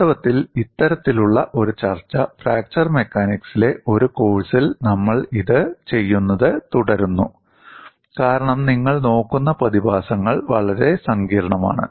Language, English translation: Malayalam, In fact, this kind of a discussion, we continue to do this in a course in fracture mechanics, because the phenomena what you are looking at is very complex